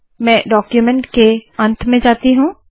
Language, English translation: Hindi, Let me go to the end of the document